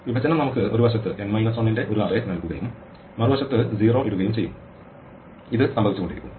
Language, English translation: Malayalam, The split will give us an array of n minus 1 on one side and put 0 on the other side and this keep happening